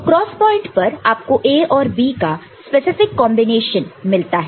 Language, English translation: Hindi, So, at the cross point you have got a combination or specific combination of A and B